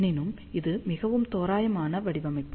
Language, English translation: Tamil, So, however this is a very very approximate design